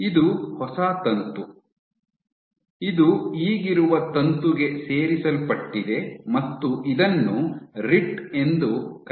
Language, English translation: Kannada, This is your new filament which has gotten added to the existing filament and this is called your rit